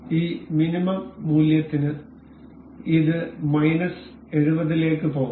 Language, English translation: Malayalam, And for this minimum value this could go to minus 70